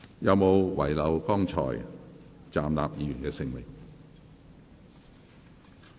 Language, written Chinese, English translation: Cantonese, 有沒有遺漏剛才站立的議員的姓名？, Do I miss any name of those Members who just stood up?